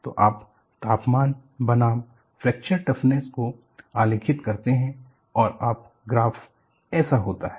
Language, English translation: Hindi, So, you plot temperatures versus fracture toughness and the graph is like this